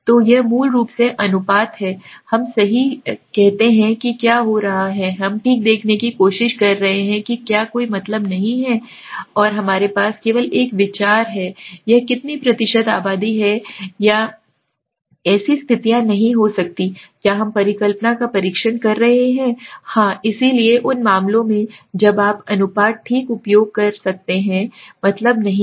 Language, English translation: Hindi, So it is the ratio basically, we say right so what is happening we are trying to see okay whether if there is no mean and we only have a idea okay, what percentage of the population it is there or not there can it have such situations also, can we test hypothesis yes, so in those cases when you do not have the mean you can use the proportion okay